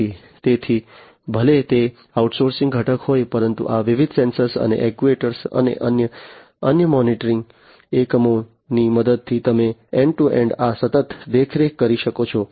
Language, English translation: Gujarati, So, even if they are outsource component, but you know with the help of these different sensors and actuators, and different other monitoring units, you could be end to end this continuous monitoring could be performed